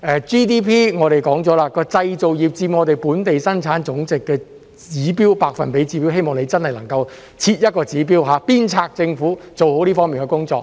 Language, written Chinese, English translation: Cantonese, GDP 方面，我們說了，製造業佔我們本地生產總值的百分比指標，希望你能設一個指標，鞭策政府做好這方面的工作。, With regard to Gross Domestic Product GDP as we said on the target for manufacturing sectors contribution to our GDP in percentage I hope that you can set a target to spur the Government to do its best in this area